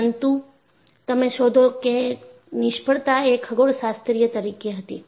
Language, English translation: Gujarati, But you find, the failures where astronomical